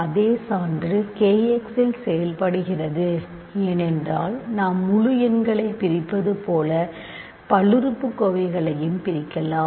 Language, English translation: Tamil, The same the same proof works in k x because we can divide polynomials also just like we can divide integers